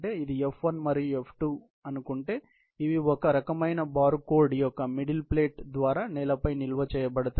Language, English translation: Telugu, Let us say this is f1 and f2, which are stored on the floor through some kind of middle plate of some kind of a bar code